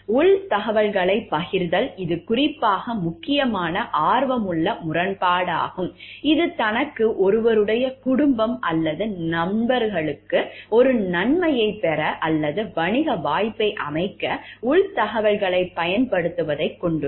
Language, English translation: Tamil, Sharing insider information; it is especially sensitive conflict of interest, which consists in using inside information to get an advantage or set up a business opportunity for oneself, one’s family or ones friends